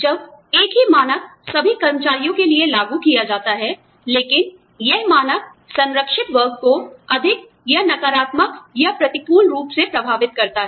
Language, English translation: Hindi, When the same standard, is applied to all employees, but that standard, affects the protected class, more or negatively or adversely